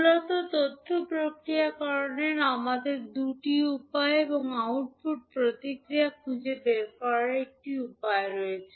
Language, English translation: Bengali, So, basically we have two ways to process the information and a find finding out the output response